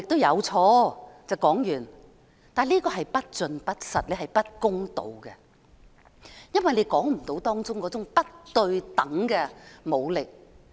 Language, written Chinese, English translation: Cantonese, 然而，這是不盡不實、不公道的，因為你未能道出當中的不對等武力。, However this remark is incomplete untrue and unfair because you fail to point out the imbalance of force